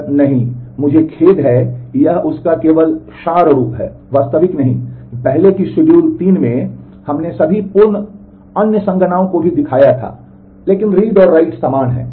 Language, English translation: Hindi, Sir, no not I am sorry this is just abstracted form of that; not the actual one because in the in the earlier schedule 3 we had shown all the complete other computations also, but the read writes are the same